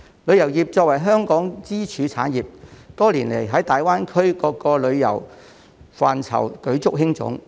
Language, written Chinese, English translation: Cantonese, 旅遊業作為香港支柱產業，多年來在大灣區各個旅遊範疇舉足輕重。, Tourism is one of Hong Kongs pillar industries and our tourism sector has played a pivotal role in various aspects of tourism in GBA over the years